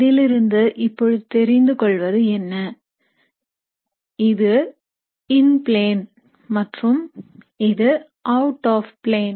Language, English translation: Tamil, Now what is seen with these, so this is in plane and this is out of plane